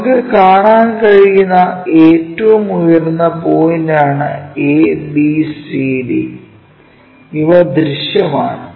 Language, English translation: Malayalam, ABCD is the highest points what we can see and these are visible